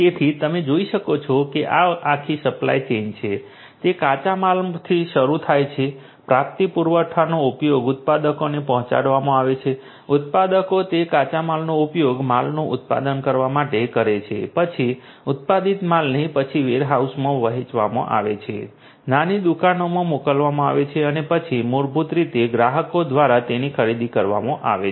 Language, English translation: Gujarati, So, as you can see this is the whole supply chain; this is this whole supply chain all right, it starts with the raw materials, procurement supply use being delivered to the manufacturers, the manufacturers use those raw materials to produce the goods the goods are then the manufactured goods are then distributed sent to the warehouses finally, to the little shops and then are basically purchased by the customers